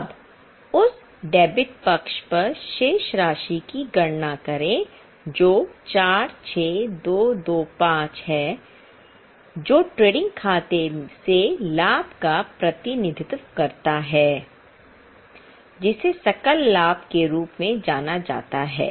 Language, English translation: Hindi, Now calculate the balance on the debit side that is 46 2 to 5 that represents the profit from trading account which is known as gross profit